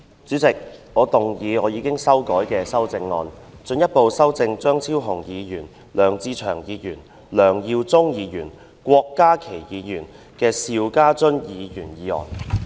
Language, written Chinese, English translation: Cantonese, 主席，我動議我經修改的修正案，進一步修正經張超雄議員、梁志祥議員、梁耀忠議員及郭家麒議員修正的邵家臻議員議案。, President I move that Mr SHIU Ka - chuns motion as amended by Dr Fernando CHEUNG Mr LEUNG Che - cheung Mr LEUNG Yiu - chung and Dr KWOK Ka - ki be further amended by my revised amendment